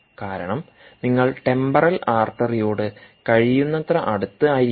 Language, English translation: Malayalam, this cone is because you have to be as close to the temporal artery as possible